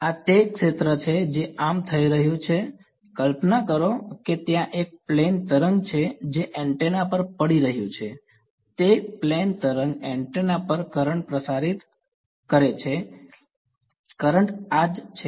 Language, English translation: Gujarati, This is the field that is happening so, imagine that imagine that there is a plane wave that is falling on the antenna alright, that plane wave is inducing a current on the antenna that current is this J